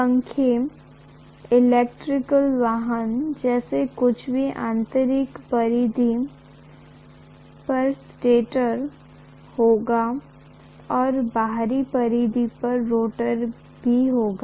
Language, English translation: Hindi, There are fans, electric vehicle; some of them will have stator at the inner periphery and rotor at the outer periphery also